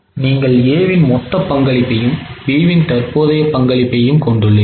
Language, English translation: Tamil, So, you are having total A and B current contributions